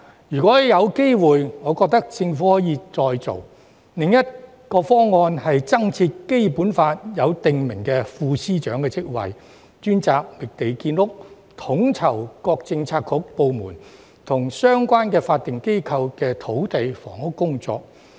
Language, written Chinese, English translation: Cantonese, 如果有機會，我覺得政府可以再做。另一個方案是增設《基本法》中訂明的副司長職位，專責覓地建屋，統籌各個政策局、部門，以及相關法定機構的土地房屋工作。, I think if there is a chance the Government can submit another proposal which may include the creation of a position of Deputy Secretary of Department as enshrined in the Basic Law who will be mainly responsible for land identification and housing construction and coordination of land supply and housing development work among various Policy Bureaux departments and the relevant statutory organizations